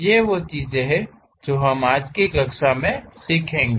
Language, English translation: Hindi, These are the things what we will learn in today's class